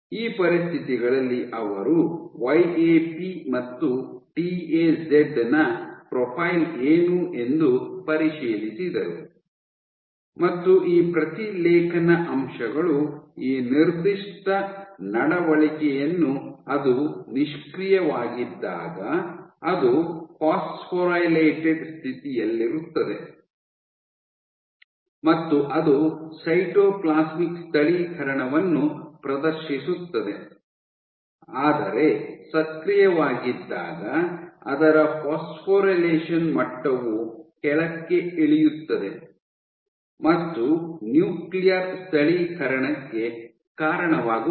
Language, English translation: Kannada, They checked under these conditions what is the profile of YAP and TAZ now these transcription factors exhibit this particular behavior that when it is inactive it in phosphorylated state and it exhibits the cytoplasmic localization, but when we get active its phosphorylation level drop and leading to a nuclear translocation nuclear localization